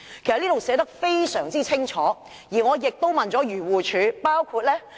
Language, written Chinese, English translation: Cantonese, "該條文已經寫得非常清楚，而我亦曾向漁護署查詢。, The provision itself is clear enough and I have also made enquiries with the Agriculture Fisheries and Conservation Department AFCD